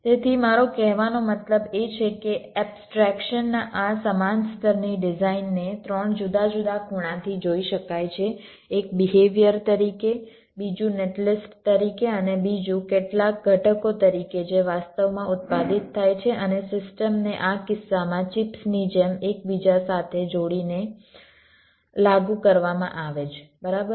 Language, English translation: Gujarati, so what i mean to say is that the design, at this same level of abstraction, can be viewed from three different angles: one as the behavior, other as a net list and the other as some components which are actually manufactured and the system is, ah miss, implemented by inter connecting them like chips, in this case